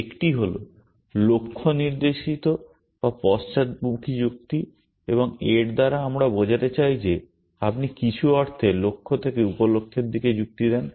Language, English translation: Bengali, One is goal directed or backward reasoning and by this we mean that you reason from goals to sub goals in some sense